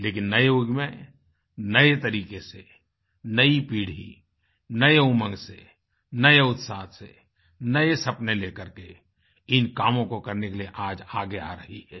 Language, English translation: Hindi, But, in this new era, the new generation is coming forward in a new way with a fresh vigour and spirit to fulfill their new dream